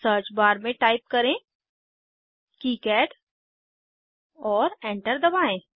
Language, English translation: Hindi, In the search bar type KiCad, and press Enter